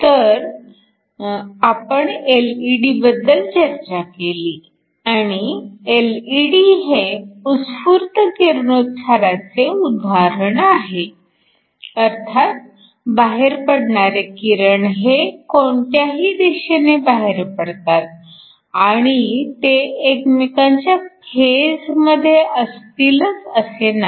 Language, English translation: Marathi, So we talked about LED’s and LED’s are an example of spontaneous emission, which means typically the radiation is emitted in any direction and is not necessarily in phase